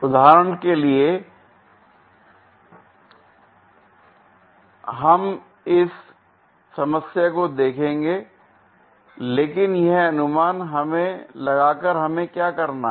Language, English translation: Hindi, We will look at this problem through examples, but by guessing it what we have to do